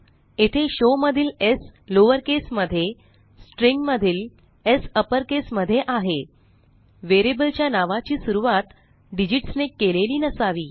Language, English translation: Marathi, Here s of show is in lowercase while S of string is in uppercase The variable name should not begin with digits